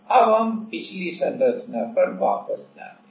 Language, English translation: Hindi, Now, let us go back to the previous structure